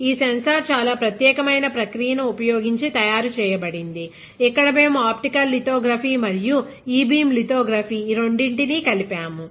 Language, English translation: Telugu, That, this, this sensor was fabricated using a very special process where we have combined both optical lithography and e beam lithography